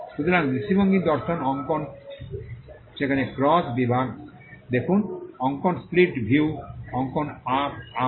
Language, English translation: Bengali, So, perspective view drawing there are cross section view drawing split view drawing blow up